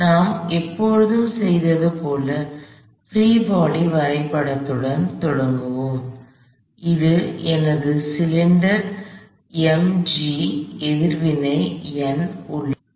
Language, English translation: Tamil, So, we will start by drawing a free body diagram like we have always done, this is my cylinder is the weight of the cylinder m g, there is a normal reaction N